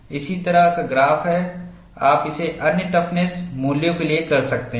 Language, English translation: Hindi, Similar graph, you could do it for other toughness values